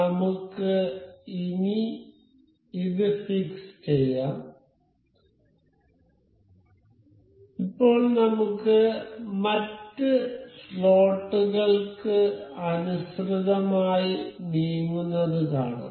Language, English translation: Malayalam, So, let us just let us fix this one and we can see this moves as in line with the other slot